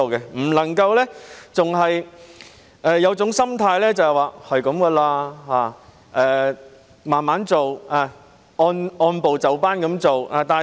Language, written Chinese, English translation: Cantonese, 政府不能夠仍有這種心態，即：凡事慢慢地做，按部就班地做。, It should no longer hold the attitude that everything can be done slowly step by step